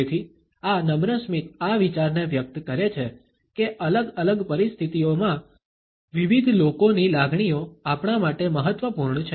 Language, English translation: Gujarati, So, this polite smile conveys this idea that the feelings of other people are important to us in different situations